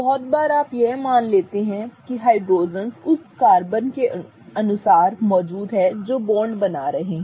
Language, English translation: Hindi, Very often you assume that those many number of hydrogens are present as per the carbon that is forming the bonds